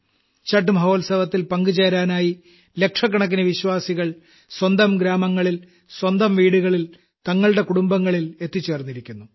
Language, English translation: Malayalam, Lakhs of devotees have reached their villages, their homes, their families to be a part of the 'Chhath' festival